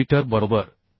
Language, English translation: Marathi, 6 millimetre right